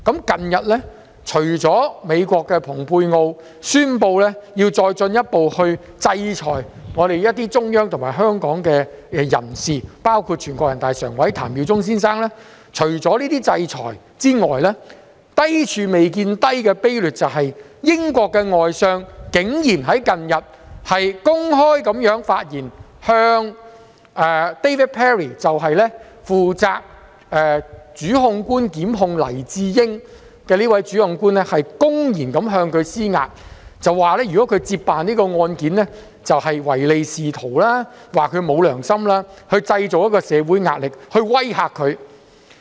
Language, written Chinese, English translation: Cantonese, 近日除了美國的蓬佩奧宣布要再進一步制裁一些中央及香港人士，包括全國人大常委譚耀宗先生，除了這些制裁外，低處未見低的卑劣手法是，英國外相竟然在近日公開發言，向負責檢控黎智英一案的主檢控官 David PERRY 公然施壓，指如果他接辦這宗案件，他便是唯利是圖，沒有良心，從而希望製造社會壓力來威嚇他。, Apart from such sanctions we have seen even meaner and more despicable action . To ones surprise the British Foreign Secretary made certain remarks in recent days on the prosecutor of the Jimmy LAI case David PERRY QC and blatantly put pressure on David PERRY QC and accused him of behaving in a pretty mercenary way if he were to take up the case . He even implied that David PERRY QC was a person of no good conscience in an attempt to create pressure in society to menace the QC